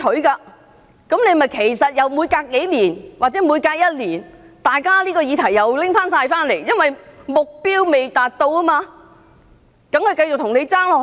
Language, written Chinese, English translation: Cantonese, 結果還不是每隔數年或每隔一年，大家又重新討論這議題，因為目標未達到，當然繼續向政府爭取。, That means we will end up discussing this issue again every other year or every few years as our target has yet been attained . As a matter of course we will continue to take up the issue with the Government